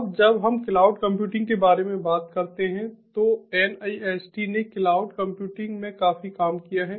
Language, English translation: Hindi, now when we talk about cloud computing, nist has done quite a bit of work on in ah cloud computing